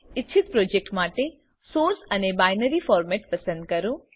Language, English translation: Gujarati, Select the desired Source and Binary Format for the project